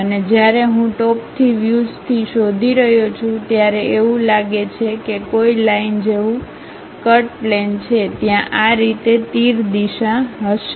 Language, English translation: Gujarati, And, when I am looking from top view it looks like there is a cut plane like a line, there will be arrow direction in this way